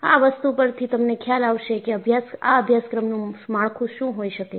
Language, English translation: Gujarati, So, this will give you an idea, what will be the course structure